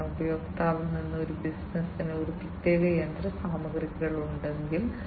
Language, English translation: Malayalam, Because, you know, if the customer, you know if somebody if a business has a particular machinery